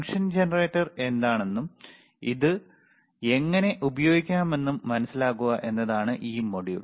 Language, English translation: Malayalam, tThe module is to understand that what is function generator is and how we can use it, all right